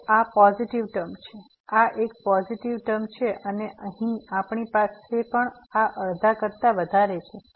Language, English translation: Gujarati, So, this is a positive term, this is a positive term and here also we have this is greater than half